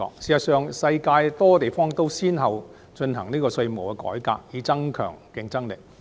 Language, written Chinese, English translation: Cantonese, 事實上，世界多個地方都先後進行稅務改革，以增強競爭力。, In fact various places in the world have conducted tax reform one after another to enhance their competitiveness